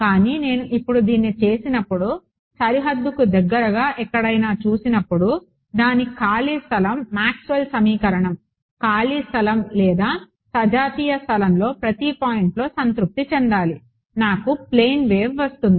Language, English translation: Telugu, But when I do this now when I look anywhere close to the boundary because its free space Maxwell’s equation should be satisfied at each point in space free space or homogeneous space I will get a plane wave